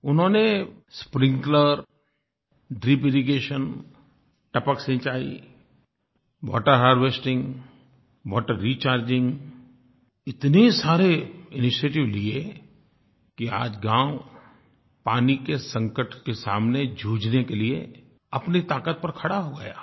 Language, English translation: Hindi, Farmers in this village have taken so many initiatives such as using sprinklers, drip irrigation techniques, water harvesting and water recharging, that today their village is strong enough to cope with the water crisis that they face